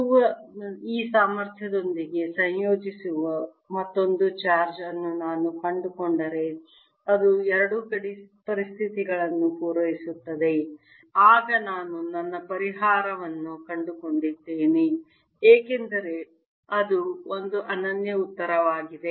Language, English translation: Kannada, if i can find another charge that satisfies that combine with this potential of q, satisfies both the boundary conditions, then i have found my solution because that's a unique answer